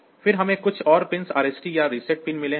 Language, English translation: Hindi, Then we have got some more pins RST or reset pin